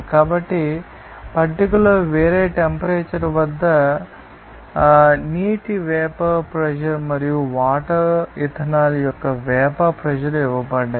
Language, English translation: Telugu, So, in the table it is given that at a different temperature, the vapor pressure of water and vapour pressure of water ethanol